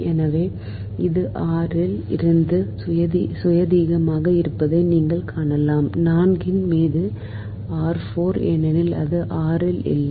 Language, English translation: Tamil, so you will find that this is the independent of r right there is no r because it will come know r to the power four upon four